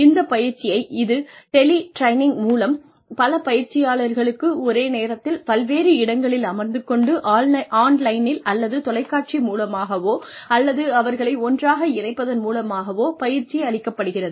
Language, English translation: Tamil, So, will it be through tele training, where many trainees, many locations are given, sitting in, in many locations are given, training at the same time, either online or over television, or by some way of connecting them together